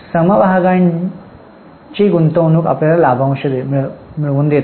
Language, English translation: Marathi, If you purchase shares, you will receive dividend thereon